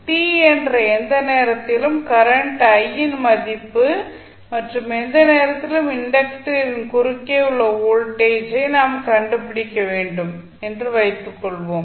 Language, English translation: Tamil, Suppose we need to find the value of current I at any time t for the inductor, voltage across inductor at any time t